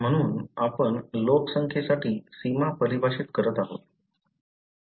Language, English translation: Marathi, So, we are defining the boundaries for the populations